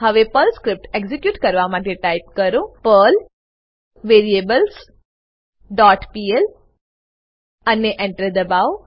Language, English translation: Gujarati, Now lets execute the Perl script by typing perl variables dot pl and press Enter